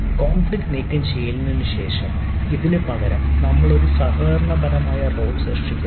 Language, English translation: Malayalam, so instead of this, after the conflict removal, we create a collaborating role